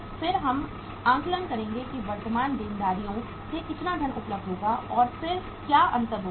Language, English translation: Hindi, Then we will assess that how much funds will be available from the current liabilities and then what will be the difference